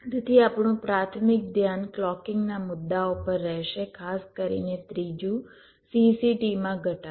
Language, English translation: Gujarati, so our primary focus will be on the clocking issues, specifically the third one, reduction of cct